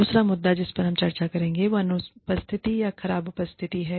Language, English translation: Hindi, The other issue, that we will discuss is, absence or poor attending